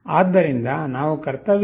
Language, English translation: Kannada, Then we make the duty cycle as 0